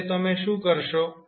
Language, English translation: Gujarati, Now, what you will do